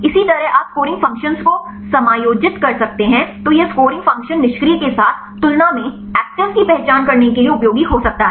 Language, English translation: Hindi, Likewise you can adjust the scoring functions then this scoring function can be useful to identify the actives compared with the inactives right